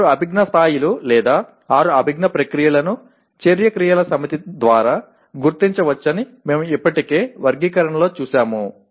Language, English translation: Telugu, We have already seen in the taxonomy that the six cognitive levels or six cognitive process they can be identified by a set of action verbs